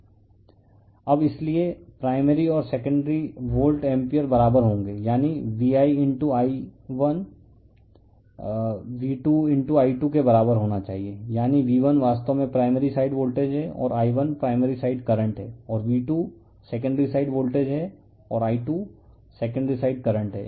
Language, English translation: Hindi, Now, hence the primary and secondary volt amperes will be equal that is V1 * I1 must be equal to V2 * I2 , that is V1 actually is your primary side voltage and I1 is the primary side current and V2 is a secondary side voltage and I2 is the secondary side current